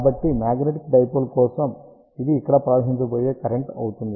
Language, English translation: Telugu, So, for magnetic dipole, then this will be the current which is going to flow over here